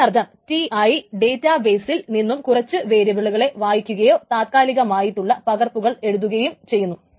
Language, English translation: Malayalam, So that means TI is actually reading from the database, reading some variables from the database and writing to the temporary copies of it, but it is actually reading